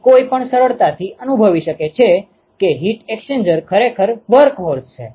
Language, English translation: Gujarati, So, one can easily realize that heat exchangers are really the workhorse